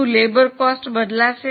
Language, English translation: Gujarati, What about labour cost